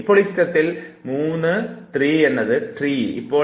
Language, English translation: Malayalam, Now, you look at this image 3 tree